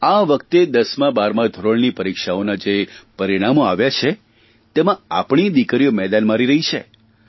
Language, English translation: Gujarati, This time in the results of 10th and 12th classes, our daughters have been doing wonderfully well, which is a matter of pride